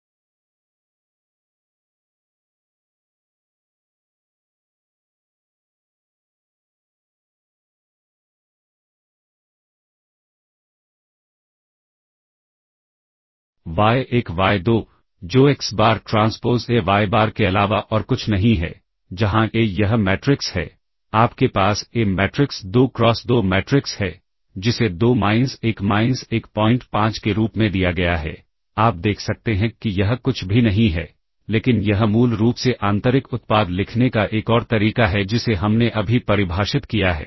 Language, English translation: Hindi, ,1y2 which is nothing but; xBar transpose A yBar where A is this matrix you have A is the matrix 2 cross 2 matrix which is given as 2 minus 1 minus 1 5 you can see that this is nothing but; identical to the this is basically another way of writing the inner product that we have just defined